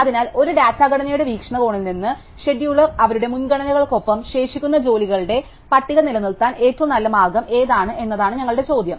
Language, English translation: Malayalam, So, from a data structure point of view, our question is what is the best way for the scheduler to maintain the list of pending jobs with their priorities